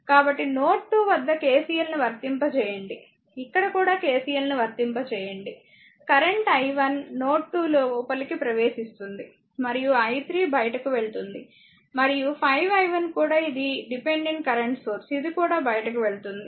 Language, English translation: Telugu, So, so, this is your ah applying KCL at node 2, you applying KCL here also , current i 1 is entering and node 2, i 3 is leaving and 5 i 1 also this is dependent current source it is also leaving, right